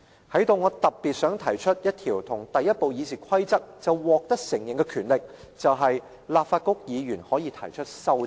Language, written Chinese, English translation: Cantonese, 在此，我特別想提出一項在第一部議事規則就獲得承認的權力，便是"立法局議員可提出修正案"。, Besides I want to highlight that the right of Members to propose amendments is the very right which was laid down as early as in the first RoP